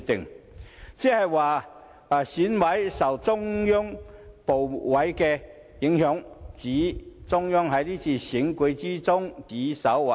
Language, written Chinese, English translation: Cantonese, "換言之，就是說選委受中央部委影響，指中央在這次選舉中指手劃腳。, In other words he was saying that EC members were being influenced by various ministries of the Central Authorities and the Central Authorities were exerting their influence in this election